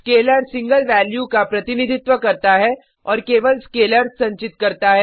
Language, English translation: Hindi, Scalar represents a single value and can store scalars only